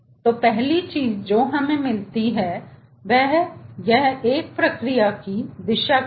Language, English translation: Hindi, so, first thing, what we get, direction of a process